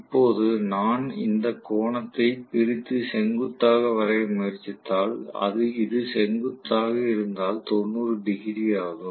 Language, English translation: Tamil, Now, if I try to just draw perpendicular bisecting this angle and this is the perpendicular, this is 90 degrees, right